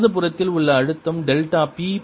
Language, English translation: Tamil, the pressure on write hand side is delta p plus delta two p